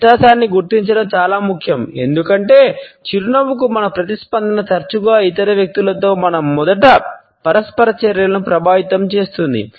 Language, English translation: Telugu, It is particularly important to identify the difference because our response to the smile often influences our first interactions with other people